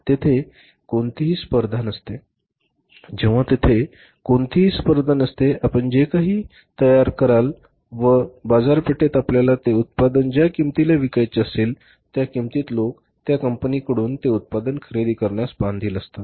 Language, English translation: Marathi, So, when there is no competition, whatever the garbage you manufacture, at whatever the price you want to sell that product in the market, people are bound to buy that product from that company